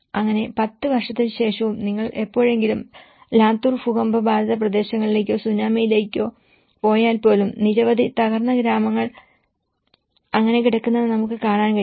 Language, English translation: Malayalam, So, even after 10 years if you ever go to Latur earthquake affected areas or even in Tsunami, there are many villages we can see these damaged villages lying like that